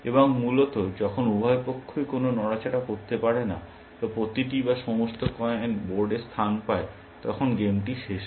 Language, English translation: Bengali, And essentially, the game ends, when either one side cannot make a move or every or all the coins have been place on the board